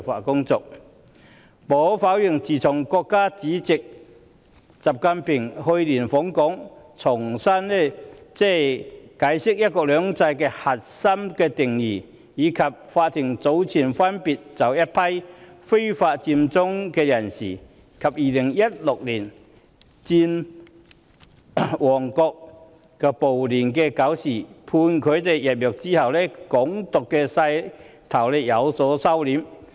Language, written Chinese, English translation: Cantonese, 無可否認，自從國家主席習近平去年訪港，重新解釋"一國兩制"的核心定義，以及法庭早前分別把一批非法佔中人士及2016年佔旺暴亂的搞事者判處入獄後，"港獨"勢頭已有所收斂。, Undeniably after State President XI Jinpings visit to Hong Kong last year to explain once again the core definition of one country two systems and a batch of people being sentenced to imprisonment for occupying Central illegally and stirring up troubles in the Mong Kok riots in 2016 the momentum of Hong Kong independence has been restrained